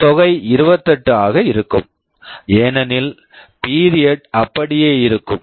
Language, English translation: Tamil, This sum will be 28 because period will remain same